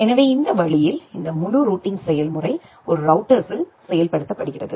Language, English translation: Tamil, So, that way this entire routing procedure is implemented inside a router